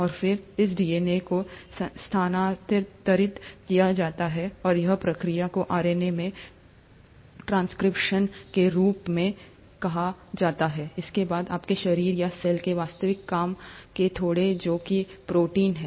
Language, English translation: Hindi, And this DNA is then transcribed and this process is called as transcription into RNA, followed by the actual work horses of your body or a cell, which is the protein